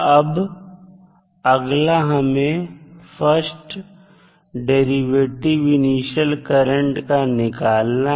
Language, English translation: Hindi, Now, next what you need to do is the first derivative of initial value of i